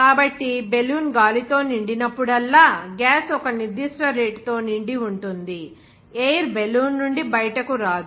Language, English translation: Telugu, So gas is filled at a certain rate whenever a balloon is filled with air, where will not come out from the balloon